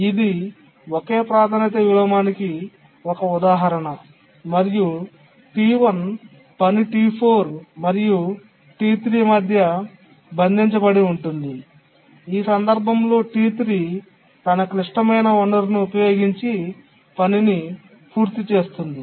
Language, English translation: Telugu, So this is an example of a single priority inversion and the time for which the task T1 gets blocked is between T3 and T4, where the task T3 completes users of its critical resource